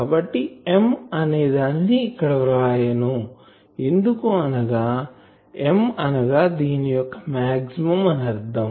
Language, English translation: Telugu, So, that will be I am not writing m because m is a maximum of that, I am writing in an earlier